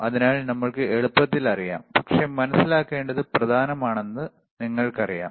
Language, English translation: Malayalam, So, easy we know, but even you know it is important to understand, all right